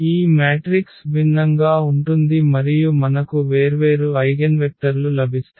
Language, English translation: Telugu, So, this matrix is going to be different and we will get different eigenvectors